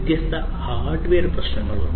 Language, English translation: Malayalam, There are different hardware issues